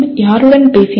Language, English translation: Tamil, Who spoke to …